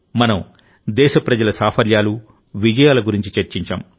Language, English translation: Telugu, We discussed the successes and achievements of the countrymen